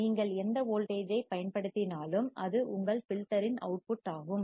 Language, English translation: Tamil, Whatever voltage you apply, it is the output of your filter